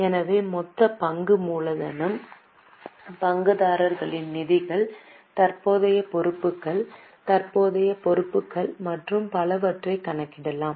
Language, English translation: Tamil, So, total share capital, shareholders funds, non current liabilities, current liabilities and so on can be calculated